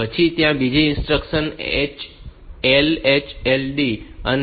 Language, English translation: Gujarati, Then, there is another instruction LHLD